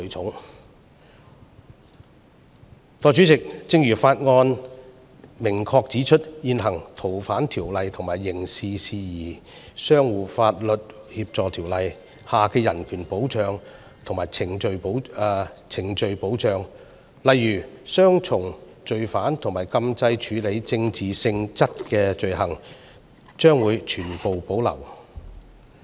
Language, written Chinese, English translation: Cantonese, 代理主席，正如《條例草案》明確指出，現行《逃犯條例》和《刑事事宜相互法律協助條例》下的人權保障和程序保障，例如雙重犯罪和禁制處理政治性質的罪行，將會全部保留。, These remarks are all grossly misleading seeking to attract public attention . Deputy President as clearly stipulated in the Bill the human rights and procedural safeguards under the existing Fugitive Offenders Ordinance and Mutual Legal Assistance in Criminal Matters Ordinance such as double criminality and political offence bar will all be retained